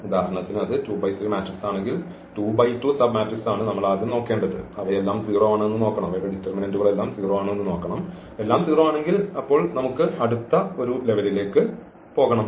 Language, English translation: Malayalam, So, we have to start with the whole matrix if for example, it is 2 by 3 matrix then 2 by 2 submatrix is we have to look and see if they all are 0 then we have to go to the one level and so on